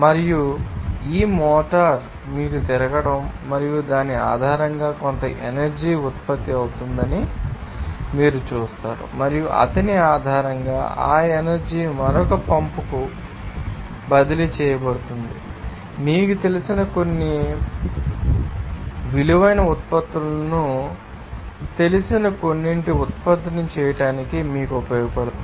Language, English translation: Telugu, and this motor will be you know rotating and based on which you will see that some energy will be produced and based on his that energy will be transferring to another pump to you know, do some work that will be you know, some, you know useful you know to produce some you know that valuable products